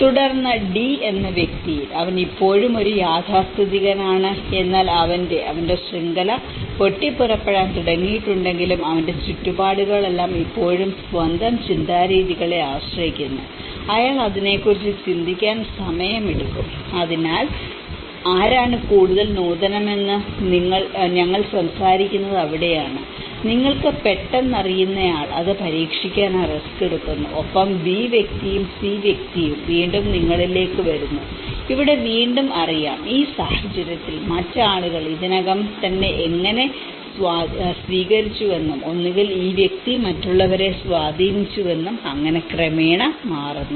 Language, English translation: Malayalam, And then, whereas in the person D, he is still in a conservative but his; all his surroundings still relying on his own ways of thinking though his network have started erupting, he takes time to think about it, so that is where we talk about who is more innovative, the one who immediately you know takes that risk to test it and the person B and person C again they comes in you know here again, in this case, it is also looked at how other people have already adopted and either this person have influenced others, so that gradually changes